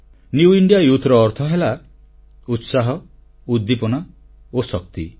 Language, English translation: Odia, I consider them 'New India Youth', 'New India Youth' stands for aspirations, enthusiasm & energy